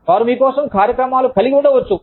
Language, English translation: Telugu, They may have, programs for you